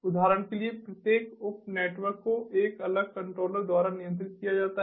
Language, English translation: Hindi, for example, a network is controlled by a single controller